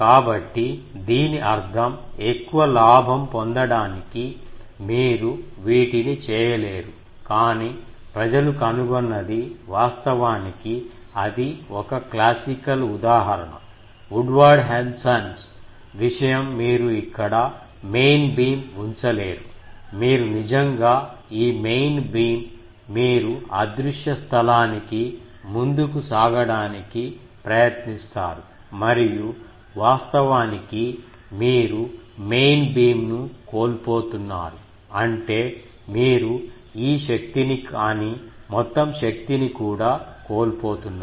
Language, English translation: Telugu, So that means, to have more gain, you cannot do these but what people have found out actually that is a classical example Woodward Henson thing that you do not put the main beam here, you actually this main beam, you try to protrude in to the invisible space and by that actually you are losing the main beam; that means, this energy you are losing but also the total energy